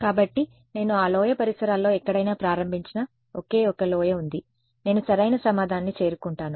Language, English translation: Telugu, So, there is only one valley I start anywhere in the neighbourhood of that valley I reach the correct answer very good